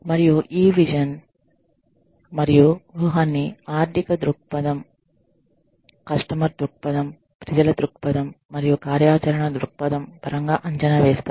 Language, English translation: Telugu, And, this vision and strategy is evaluated, in terms of the financial perspective, the customer perspective, the people perspective, and the operational perspective